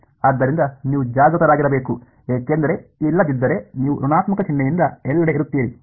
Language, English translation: Kannada, So, you should just be aware because otherwise you will be off everywhere by minus sign